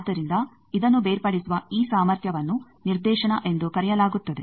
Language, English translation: Kannada, So, that ability of this to separate this that is called directivity